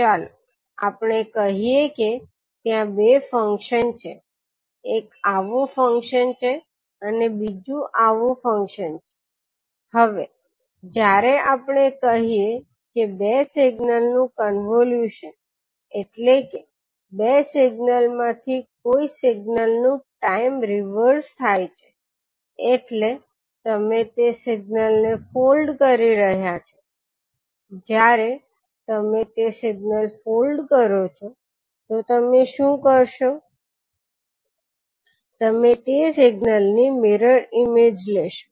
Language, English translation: Gujarati, Let us say that there are two functions, one is let us say is function like this and second is function like this, now when we say the convolution of two signals means time reversing of one of the signal means you are folding that signal so when you, suppose if you fold that signal, what you will do, you will take the mirror image of that signal